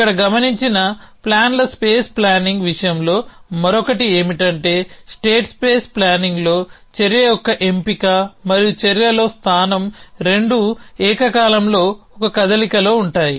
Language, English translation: Telugu, The other in case in thing about plans space planning with here observed was that in state place planning both the selection of the action and position in the action was them simultaneously in 1 move